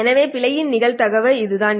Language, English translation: Tamil, So this is what the probability of error is